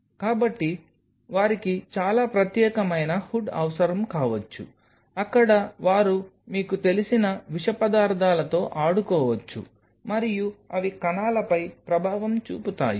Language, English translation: Telugu, So, they may need a very separate hood where they can play out with there you know toxic material and see they are effect on the cells